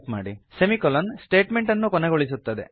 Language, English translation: Kannada, Semicolon acts as a statement terminator